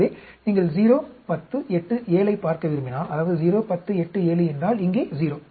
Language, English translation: Tamil, So, if you want to see 0, 10, 8, 7; that is 0, 10, 8, 7 means, here 0